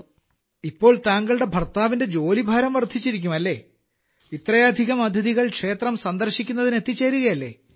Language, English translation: Malayalam, So your husband's work must have increased now that so many guests are coming there to see the temple